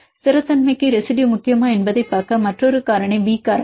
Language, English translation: Tamil, Another factor to see whether a residue is important for stability is the B factor